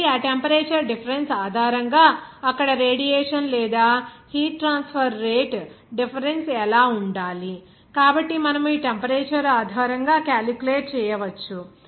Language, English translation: Telugu, So, in that case based on that temperature difference, what should be the radiation or heat transfer rate difference there, so you can calculate based on this temperature